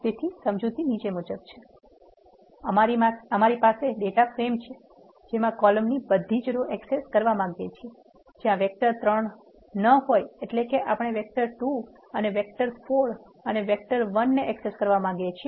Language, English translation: Gujarati, So, the explanation goes as follows; we have a data frame we want to access all the rows in the columns we want to access those columns where there is no vector 3; that means, we want to access vector 2 vector 4 and vector one